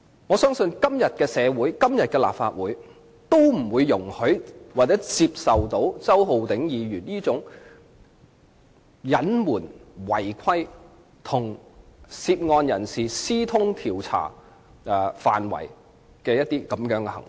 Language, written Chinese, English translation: Cantonese, 我相信今天的社會和立法會都不會容許或接受周浩鼎議員這種隱瞞、違規，以及與涉案人士私通調查範圍的行為。, I do not believe that the community and the Legislative Council of today will allow or accept this kind of concealment and breach by Mr Holden CHOW and his secret communication with the subject of the inquiry about the scope of the inquiry